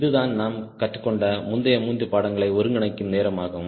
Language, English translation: Tamil, this is the time to synthesize whatever we have learnt in earlier three courses